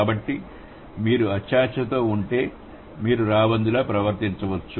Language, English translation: Telugu, So, if you are greedy, you might behave like a vulture